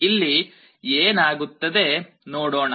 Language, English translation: Kannada, Let us see what happens here